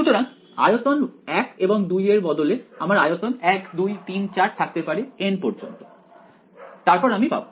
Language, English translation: Bengali, So, instead of volume 1 and 2 I may have volume 1 2 3 4 up to n then I will have